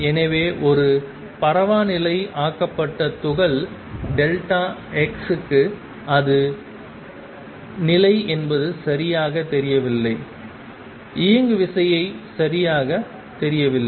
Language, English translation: Tamil, So, for a localized particle delta x it is position is not known exactly is momentum is not know exactly